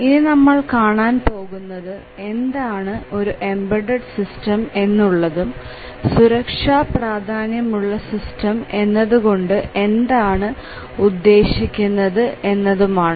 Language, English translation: Malayalam, So, we will see what is an embedded system and what is a safety critical system